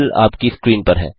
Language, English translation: Hindi, The solution is on your screen